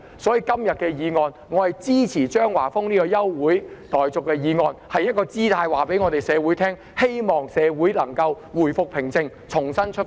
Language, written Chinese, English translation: Cantonese, 所以，我支持張華峰議員今天提出的休會待續議案，這是一個姿態，是要告訴社會，希望社會能夠回復平靜，重新出發。, Therefore I support the adjournment motion proposed by Mr Christopher CHEUNG today . This is a gesture expressing the hope that society can return to calmness and make a new start